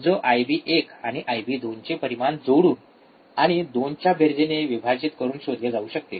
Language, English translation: Marathi, Which is which can be found by adding the magnitudes of I B one and I B 2 and dividing by sum of 2